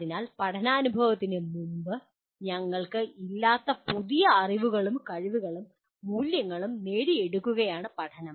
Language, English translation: Malayalam, So learning is acquiring new knowledge, skills and values that we did not have prior to the event of learning